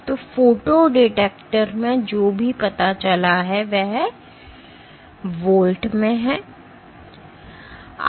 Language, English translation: Hindi, So, any what is detected in the photo detector is in volts ok